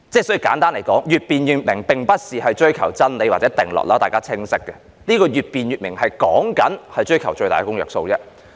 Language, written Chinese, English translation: Cantonese, 所以簡單來說，越辯越明並不是追求真理或定律，這點大家很清楚，越辯越明所指的是追求最大公約數。, Hence simply put the more the subject is debated the clearer it becomes does not refer to the pursuit of truth or any scientific law and this should be very clear to Members . It refers to the pursuit of the greatest common divisor or the common grounds